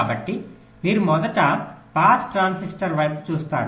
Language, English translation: Telugu, so you first look at pass transistor